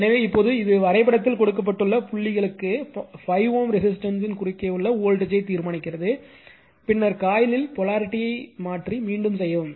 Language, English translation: Tamil, So, now this one determine the voltage across the 5 ohm resister for the dots given in the diagram, then reverse the polarity in 1 coil and repeat